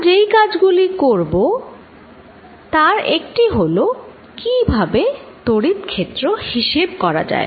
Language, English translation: Bengali, One of the jobs we are going to do is how to calculate electric field